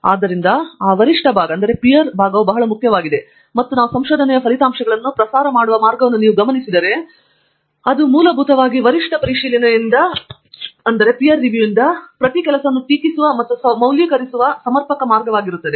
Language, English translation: Kannada, So, that peer part is very important and if you notice the way we go about disseminating the research results, it is basically by peer review and then peers criticizing and validating each of this work and going about